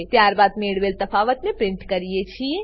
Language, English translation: Gujarati, Then we print the difference